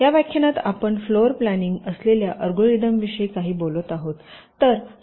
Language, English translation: Marathi, so in this lecture we shall be talking about some of the algorithms for floor planning